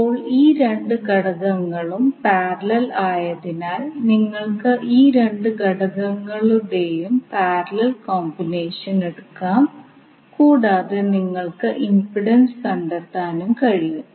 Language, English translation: Malayalam, Now since these two elements are in parallel, so you can take the parallel combination of these two elements and you can find out the impedance